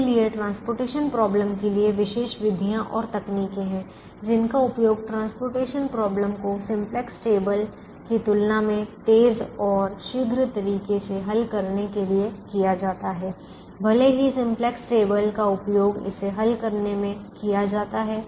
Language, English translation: Hindi, now the transportation problem therefore has special methods and techniques which are used to solve the transportation problem in a faster, quicker manner compared to solving it using the simplex table, even though it can be solved using the simplex table